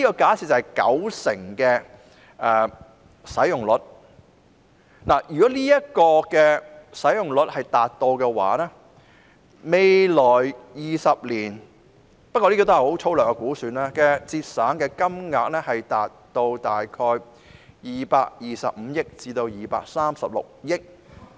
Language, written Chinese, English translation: Cantonese, 假設數碼使用率日後達到九成，按粗略估算，未來20年可節省的金額累計將達225億元至236億元。, Assuming the digital take - up rate can reach 90 % the cumulative financial savings to be derived was roughly estimated to be in the region of 22.5 billion to 23.6 billion spread over 20 years